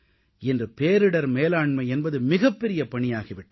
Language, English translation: Tamil, Nowadays, disaster management has assumed immense significance